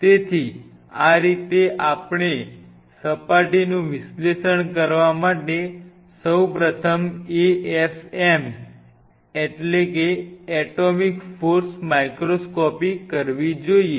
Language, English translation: Gujarati, So, this is how we will be proceeding first you should do an AFM atomic force microscopy to analyze the surface